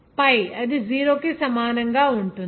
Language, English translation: Telugu, pi that will equal to 0